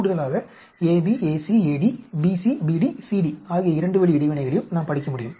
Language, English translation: Tamil, In addition, we can also study the 2 way interaction AB, AC, AD, BC, BD, CD and so on